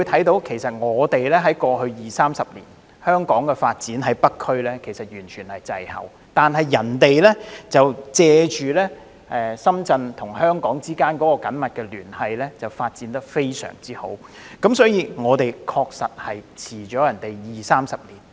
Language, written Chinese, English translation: Cantonese, 大家都看到，過去二三十年，香港北區的發展滯後，但深圳卻藉着與香港的緊密聯繫，發展得非常好，我們確實滯後了二三十年。, As we can see the development of the North District in Hong Kong has been lagging behind in the past 20 to 30 years while Shenzhen has benefited from its close ties with Hong Kong and achieved very good development . We are actually lagging 20 to 30 years behind